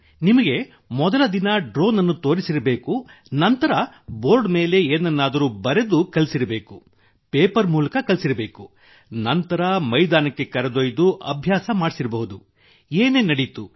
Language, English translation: Kannada, You must have been shown a drone on the first day… then something must have been taught to you on the board; taught on paper, then taken to the field for practice… what all must have happened